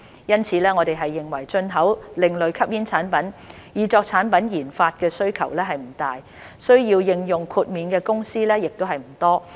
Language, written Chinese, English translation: Cantonese, 因此，我們認為進口另類吸煙產品以作產品研發的需求不大，需要應用豁免的公司亦不多。, Therefore we consider that there will not be a great demand for importing ASPs for product development nor will there be many companies requiring exemption